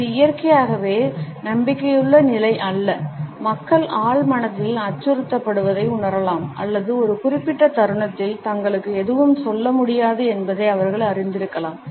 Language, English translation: Tamil, It is not a naturally confident position people may feel subconsciously threatened or they might be aware that they do not have any say in a given moment